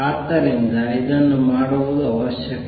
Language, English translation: Kannada, So, it is necessary to do this